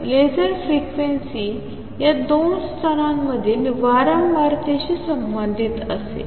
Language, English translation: Marathi, So, laser frequencies is going to be the corresponding to the frequency between the these two levels